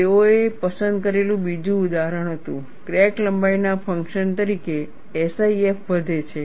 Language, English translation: Gujarati, The other example they chose was, the SIF increases as a function of crack length